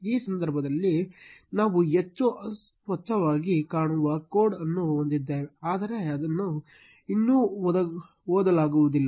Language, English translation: Kannada, This time we have a much cleaner looking code, but it is still not readable